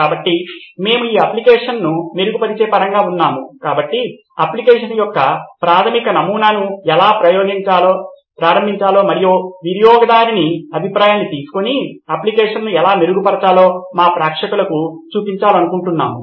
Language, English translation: Telugu, So, we are in terms of improving this app so we want to show our viewers how to start a basic prototype of an app and how to improve the app by taking customer feedback The information you get, what do you mean